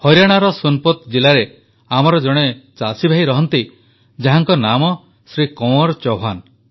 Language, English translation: Odia, One such of our farmer brother lives in Sonipat district of Haryana, his name is Shri Kanwar Chauhan